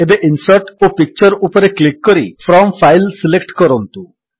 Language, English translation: Odia, Now, lets click on Insert and Picture and select From File